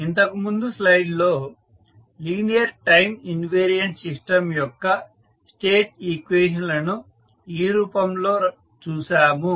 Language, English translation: Telugu, So, here in the previous slide we have seen the state equations of a linear time invariant system are expressed in this form